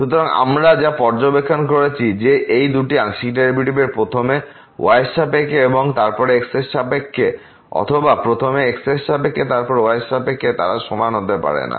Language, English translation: Bengali, So, what we have observed that these 2 partial derivatives first with respect to y and then with respect to or first with respect to and then with respect to they may not be equal